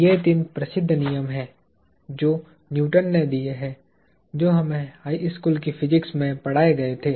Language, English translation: Hindi, These are the three famous laws that are attributed to Newton that were introduced to us in high school physics